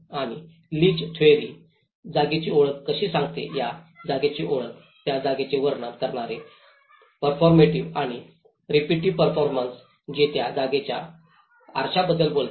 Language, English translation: Marathi, And Leach Theory talks about the identification of the space how one can narrate the space the performative which define the space and the repetitive performances which talks about the mirroring of the place